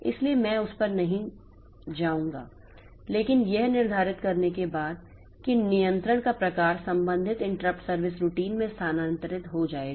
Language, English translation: Hindi, But after determining the type of interrupt that control will be transferred to the corresponding interrupt service routine